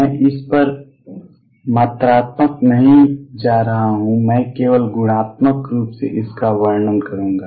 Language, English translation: Hindi, I am not going to go quantitative on this I will describe this only qualitatively